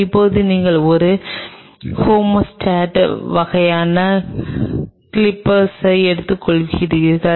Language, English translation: Tamil, Now, you take a hemostat kind of things clippers